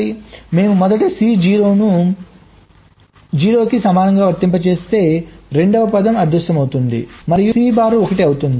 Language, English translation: Telugu, if i apply c equal to zero, the second term vanishes and the c bar becomes one